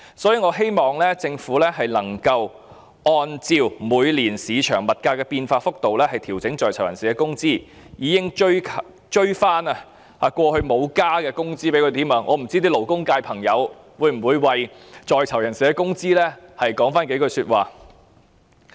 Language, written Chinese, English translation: Cantonese, 所以，我希望政府能夠按照市場每年的物價變化幅度調整在囚人士的工資，更應該追回過往未有增加的工資，不知道勞工界的朋友會否為在囚人士的工資說幾句話。, Therefore I hope that the Government can make adjustments to the earnings of persons in custody according to the price changes in the market annually and it is all the more necessary to recover the increments not paid to the prisoners . I wonder if Members from the labour sector will say a few words on the earnings of persons in custody